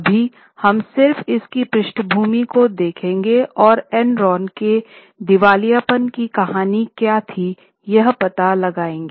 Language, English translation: Hindi, Now we'll just see what is a background and what was a story of the bankruptcy of Enron